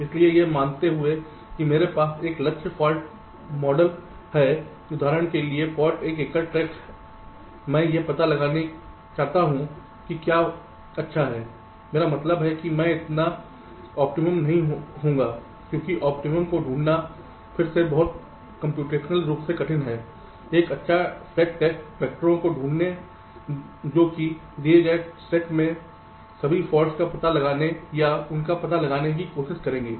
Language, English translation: Hindi, so, assuming that i have ah target for model, for example the single stack at fault, i want to find out what is the good ok, i means i will not so optimum, because finding the optimum is again very computationally difficult find a good set of test vectors that will try to find out or detect all the faults from the given set